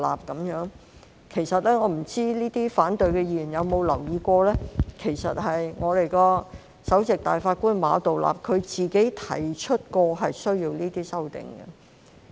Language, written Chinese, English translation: Cantonese, 我不知這些反對議案的議員是否有留意，其實，首席大法官馬道立曾提出需要這些修訂。, I wonder if these Members with opposing views have noted that it was Mr Geoffrey MA the Chief Justice of the Court of Final Appeal who had actually suggested these amendments